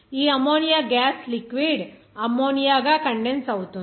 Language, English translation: Telugu, This ammonia gas will be condensed down as liquid ammonia